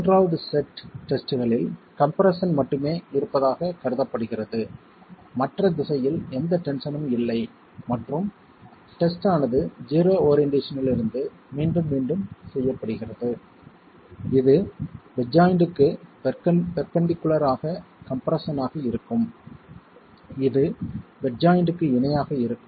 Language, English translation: Tamil, In the third set of tests it is assumed that there is only compression, no tension in the other direction and test is repeated going all the way from an orientation of zero which is compression as perpendicular to the bed joint to compression being parallel to the bed joint